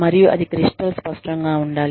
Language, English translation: Telugu, And, that should be crystal clear